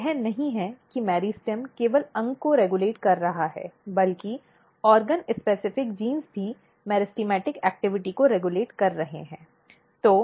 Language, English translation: Hindi, So, it is not only that the meristem is regulating the organ, but the organ specific genes are also regulating the meristematic activity